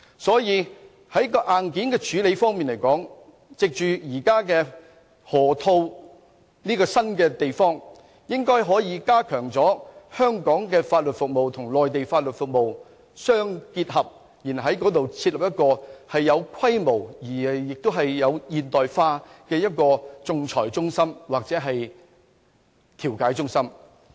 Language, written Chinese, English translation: Cantonese, 所以，在硬件方面，我們應該可以藉着河套這個新發展區，加強香港的法律服務與內地的法律服務融合，然後在該處設立一個有規模、現代化的仲裁中心或調解中心。, Hence on the hardware front it should be feasible to establish a modern arbitration or mediation centre of considerable scale in the new development area in the Lok Ma Chau Loop with a view to strengthening the integration of legal services in Hong Kong and the Mainland